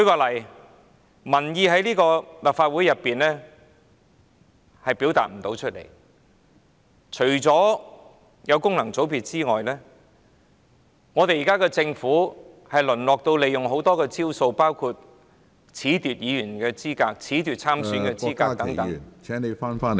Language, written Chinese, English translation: Cantonese, 立法會未能表達民意，除了有功能界別議員外，政府現在還會採用很多招數，包括褫奪議員資格、褫奪參選者資格等......, The Legislative Council has failed to reflect public opinion . Apart from having functional constituency Members the Government has adopted various tactics such as disqualifying Members and candidates